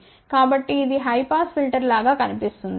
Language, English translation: Telugu, So, this looks like a high pass filter